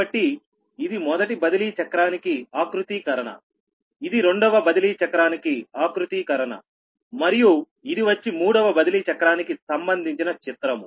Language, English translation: Telugu, so this is the configuration for the first transposition cycle, this is the configuration for the second transposition cycle and this is the diagram for the third transposition cycle